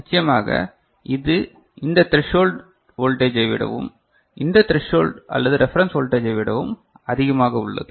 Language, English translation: Tamil, Of course, it is more than this threshold voltage and also more than this threshold or reference voltage, right